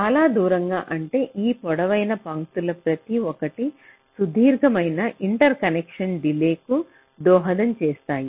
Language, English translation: Telugu, lets say far apart means this: each of this long lines will contribute to a long interconnection delay